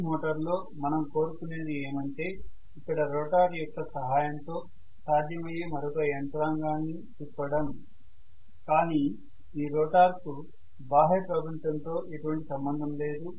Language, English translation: Telugu, In a motor what I want is to rotate another mechanism that will be possible with the help of this rotor but this rotor does not have any connection with the external field, external world